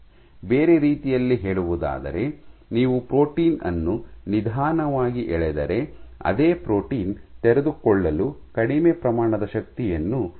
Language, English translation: Kannada, In other words, if you pull a protein slowly it takes less amount of forces to unfold the same protein